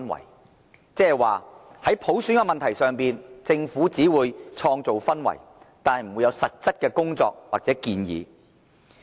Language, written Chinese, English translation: Cantonese, 換言之，在普選問題上，政府只會創造氛圍，但不會有實質的工作或建議。, In other words the Government will only work towards creating an atmosphere without delivering actual work or proposals with regard to universal suffrage